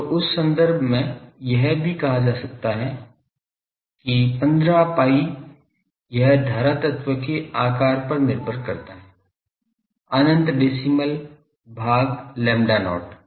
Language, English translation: Hindi, So, in that terms it can be also said that 15 pi etc, this it depends on the size of the current element, infinite decimal by lambda not